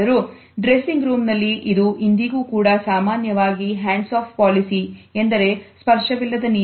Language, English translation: Kannada, However, in the dressing room it is still normally a hands off policy